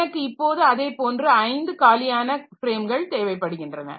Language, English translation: Tamil, So, I need five such free frames